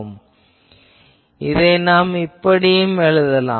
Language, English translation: Tamil, Now, I can say that this one, I can also write as